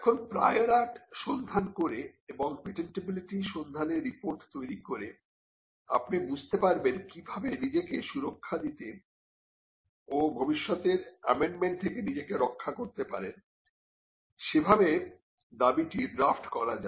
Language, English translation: Bengali, Now by performing a prior art search, and by generating a patentability search report, you would understand as to how to draft a claim in such a manner that you can protect yourself, or safeguard yourself from a future amendment